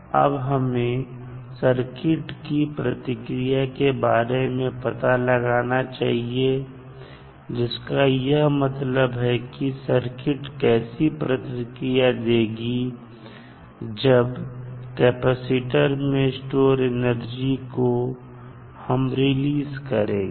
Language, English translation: Hindi, Now that we have to do, we have to find out the circuit response, circuit response means, the manner in which the circuit will react when the energy stored in the elements which is capacitor in this case is released